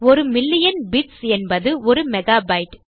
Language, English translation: Tamil, So weve got a million megabyte of data here